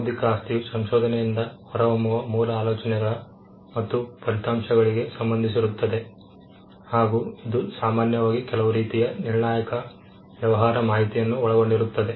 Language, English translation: Kannada, Intellectual property relates to original ideas results that emanate from research, and generally it covers some kind of critical business information